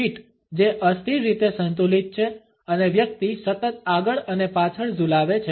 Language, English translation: Gujarati, Feet which are rather unsteadily balanced and the person is continually swing back and forth